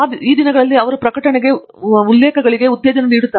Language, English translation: Kannada, These days, they are encouraged to a publish quotes